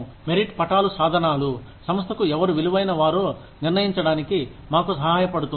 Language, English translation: Telugu, Merit charts are tools, that help us decide, who is worth, what to the organization